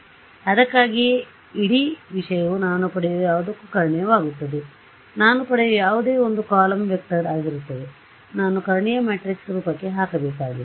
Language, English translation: Kannada, So, that is why this whole thing becomes diagonal of whatever I get, whatever I get is going to be a column vector I need to put into a diagonal matrix form right